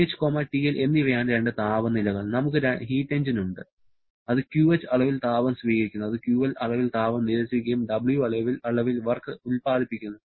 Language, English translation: Malayalam, This TH and TL are the two temperatures, we have the heat engine which is drawing QH amount of heat rejecting QL amount of heat and producing W amount of work